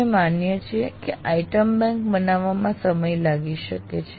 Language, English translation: Gujarati, We agree that creating such a item bank is, takes time